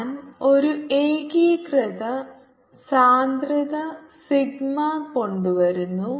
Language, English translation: Malayalam, i will be the inform density sigma